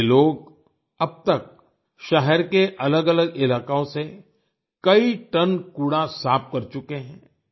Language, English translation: Hindi, These people have so far cleared tons of garbage from different areas of the city